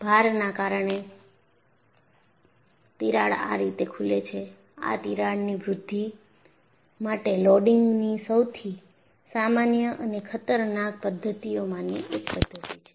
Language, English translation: Gujarati, Because of the load, the crack opens up like this, this is one of the most common and dangerous modes of loading for crack growth